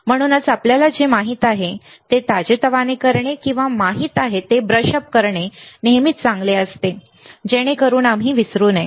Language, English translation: Marathi, So, it is always good to refresh whatever we know or brush up whatever we know so that we do not forget ok